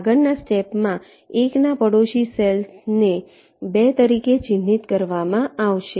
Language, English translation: Gujarati, in the next step, the neighboring cells of one will be marked as two